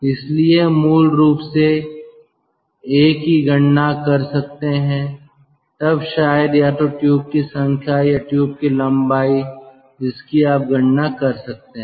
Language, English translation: Hindi, once you calculate a, then probably either the number of tubes or the tube length you can calculate